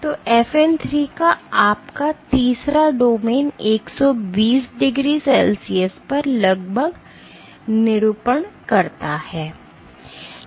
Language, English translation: Hindi, So, your third domain of FN 3 roughly denatures at 120 degree Celsius